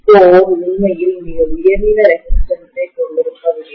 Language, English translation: Tamil, And core is not having really a very high resistance